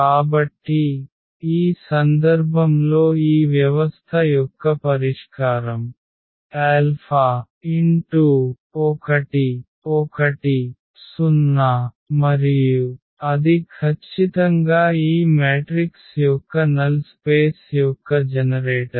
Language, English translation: Telugu, So, in this case the solution of this system is alpha times 1 1 0 and that is exactly the generator of the null space of this matrix